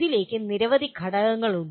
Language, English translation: Malayalam, There are several elements into this